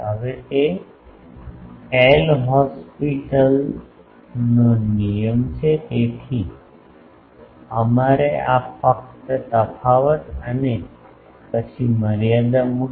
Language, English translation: Gujarati, Now so, that is a L Hospital rule so, we will have to differentiate these and then put the limit